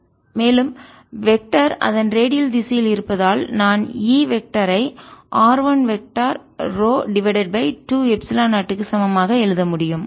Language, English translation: Tamil, and for the vectors, since its in radial direction, i can write e vector to be equal to r one vector, rho over two epsilon zero